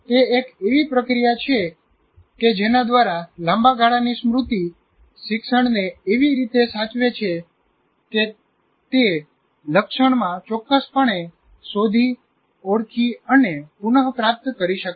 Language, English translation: Gujarati, It is a process whereby long term memory preserves learning in such a way that it can locate, identify and retrieve accurately in the future